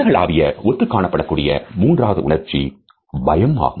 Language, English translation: Tamil, The third universal emotion is that of fear